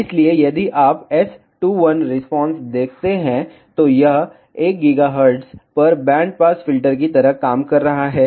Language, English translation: Hindi, So, if you see S2, 1 response, so it is acting like a band pass filter at 1 gigahertz